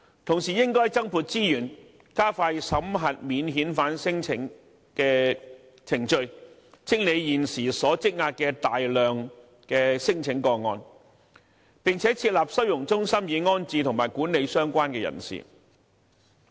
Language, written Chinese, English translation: Cantonese, 同時，應要增撥資源，加快審核免遣返聲請的程序，清理現時積壓的大量聲請個案，並設立收容中心，安置及管理相關人士。, At the same time more resources should be deployed to speed up the screening procedures for non - refoulement claims so as to clear the huge backlog . Furthermore the Government should set up holding centres to settle and manage the people concerned